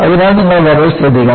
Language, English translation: Malayalam, So, you have to be very careful